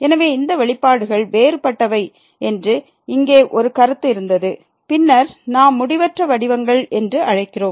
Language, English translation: Tamil, So, there was a remark here that these expressions which are different then these which we are calling indeterminate forms